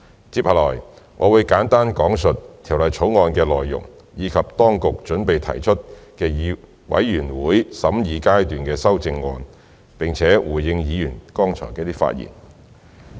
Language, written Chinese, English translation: Cantonese, 接下來，我會簡單講述《條例草案》的內容，以及本局準備提出的全體委員會審議階段修正案，並且回應議員剛才的發言。, In my following speech I will give a brief account on the Bill as well as the Committee stage amendments CSAs to be proposed by the Bureau and then I will respond to the speeches given by Members just now